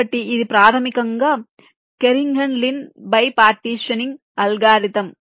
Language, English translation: Telugu, so this is basically what is kernighan lin by partitioning algorithm